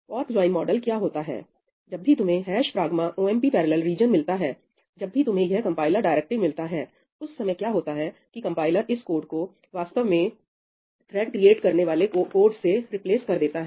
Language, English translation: Hindi, what is the fork join model when you encounter the ‘hash pragma omp parallel’ region , when you encounter this compiler directive, at that time what happens is, the compiler replaces this with the code that actually creates threads